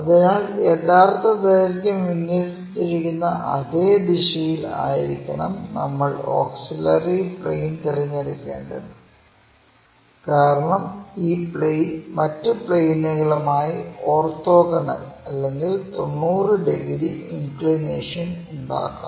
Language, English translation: Malayalam, So, the way how this true length is aligned in that direction we pick this auxiliary plane, so that this plane may make orthogonal or 90 degrees with the other planes